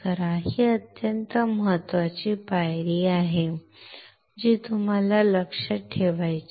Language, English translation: Marathi, This is extremely important steps that you have to remember